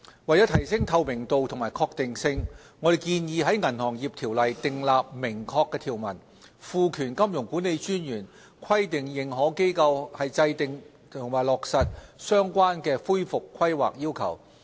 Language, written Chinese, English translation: Cantonese, 為提升透明度及確定性，我們建議在《銀行業條例》訂立明確條文，賦權金融管理專員規定認可機構制訂並落實相關的恢復規劃要求。, To provide greater transparency and certainty we propose to prescribe explicit provisions in the Ordinance to empower MA to require AIs to maintain and implement the relevant recovery planning requirements